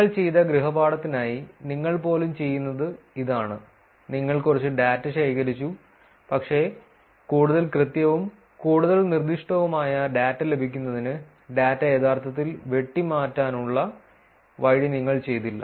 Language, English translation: Malayalam, This is what even you would do for the home works that you did you collected some data, but you probably did not do the way to actually prune the data to get more accurate, more specific data